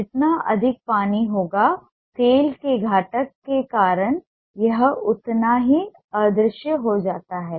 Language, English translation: Hindi, the more watery it is, the more invisible it becomes because of the component of oil